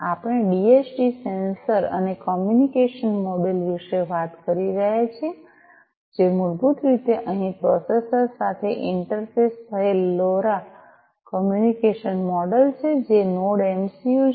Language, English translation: Gujarati, So, we are talking about a DHT sensor and a communication module, which is basically the LoRa communication model over here interfaced with the processor, which is the NodeMCU